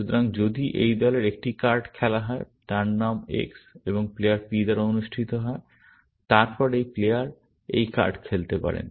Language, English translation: Bengali, So, if there is a card of this group is played, whose name is X and is held by player P, then this player can play this card